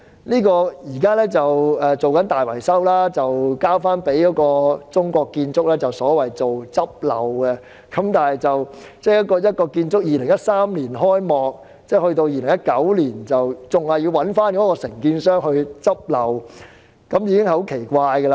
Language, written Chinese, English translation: Cantonese, 現時大樓正進行大維修，由中國建築工程有限公司負責所謂"執漏"，該幢建築物於2013年才開幕，在2019年竟要交由建造的承建商"執漏"，這實在奇怪。, The so - called remedial works is carried out by the China State Construction Engineering Hong Kong Limited . The building only commenced operation in 2013 yet in 2019 the authorities have to commission the construction contractor of the building to carry out remedial words . It is really strange